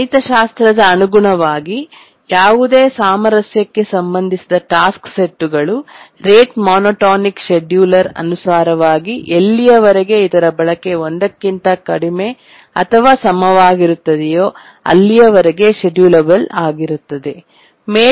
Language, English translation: Kannada, Now let's through a simple mathematics, let's show that any harmonically related task set is schedulable under the rate monotonic scheduler as long as its utilization is less than or equal to one